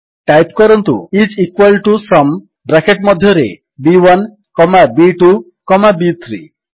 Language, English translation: Odia, Type is equal to SUM, and within the braces, B1 comma B2 comma B3